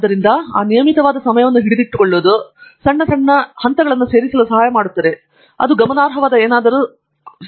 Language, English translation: Kannada, So, just keeping up those regular hours, helps you add those small, small steps which then add up to something that is significant